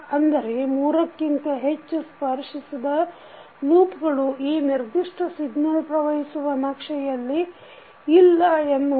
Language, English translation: Kannada, So, set of three or four non touching loops are not available in this signal flow graph